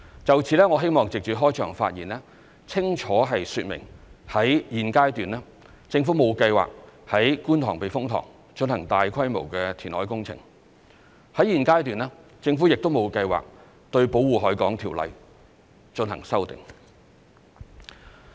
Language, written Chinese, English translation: Cantonese, 就此，我希望藉着開場發言，清楚說明在現階段，政府沒有計劃於觀塘避風塘進行大規模填海工程，在現階段，政府亦沒有計劃對《條例》進行修訂。, In this connection I would like to clearly explain through my opening remarks that at this stage the Government has no plan to undertake any large - scale reclamation project at the Kwun Tong Typhoon Shelter nor does it have any plan to amend the Ordinance